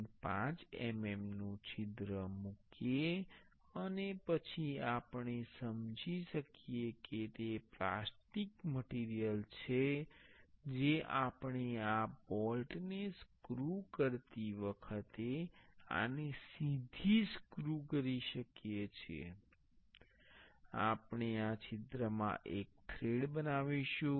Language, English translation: Gujarati, 5 mm hole and then we can sense it is a plastic material we can directly screw this while screwing this bolt we will make a thread in this hole